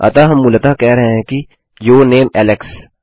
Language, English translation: Hindi, So, were basically saying your name Alex